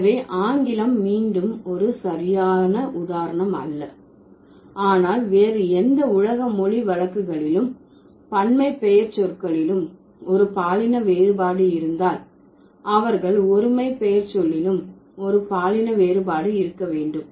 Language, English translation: Tamil, But in case of any other world's languages, if there is a gender distinction in the plural pronouns, they also have a gender distinction in the singular pronouns